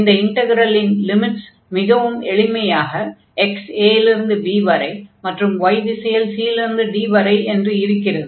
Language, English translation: Tamil, And since the integral limits here, because the region was nicely define from a to b and the c to d in the direction of y